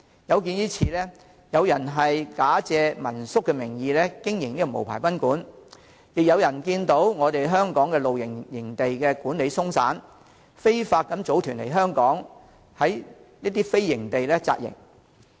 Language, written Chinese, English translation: Cantonese, 有見於此，有人假借民宿名義經營無牌賓館，亦有人看到香港的露營營地管理鬆散，非法組團來港到非營地扎營。, In view of this some people have operated unlicensed guesthouses under the guise of home - stay lodgings and some people have exploited the lax administration of campsites in Hong Kong to illegally organize tourist groups to camp in non - campsites in Hong Kong